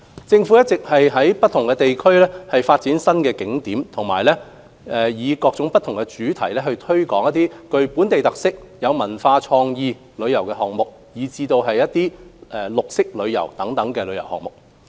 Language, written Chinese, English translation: Cantonese, 政府一直在不同地區發展新景點及以各不同主題推展具本地特色、文化和創意旅遊項目，以及綠色旅遊等項目。, The Government has been developing new tourist attractions in various districts and taking forward projects under various themes with local characteristics on cultural and creative tourism as well as green tourism